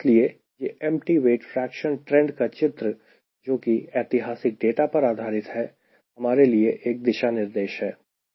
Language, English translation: Hindi, so this figure empty weight fraction trend, which is based on historical data, is a guideline for it